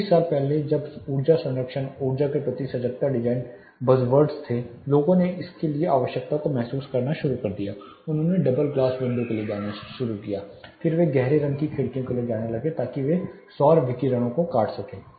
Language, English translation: Hindi, Say you know 20 years back when energy conservation and energy conscious design where started to be you know buzzwords (Refer Time: 29:07) people started realizing the need for it, they started going for the double glass window of course, then they started going in for dark tinted windows, so that they can cut solar radiation